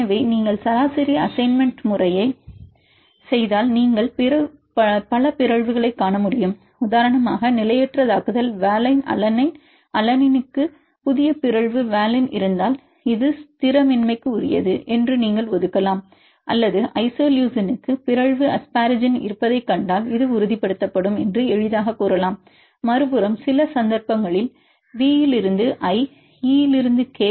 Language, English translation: Tamil, So, if you do the average assignment method if you can see many mutant and destabilizing for example, valine to alanine, if you have new mutation valine to alanine you can assign this is destabilizing or if you find the mutation asparagine to isoleucine you can easily say that this will stabilize And the other hand if some cases for example, V to I, E to K